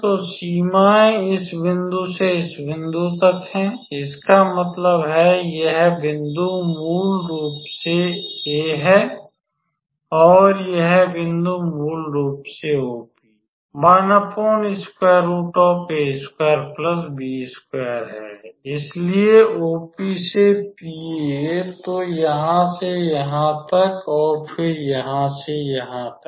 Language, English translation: Hindi, So, the limits are from this point to this point; that means, this point is basically A and this point is basically OP a 1 by a square plus b square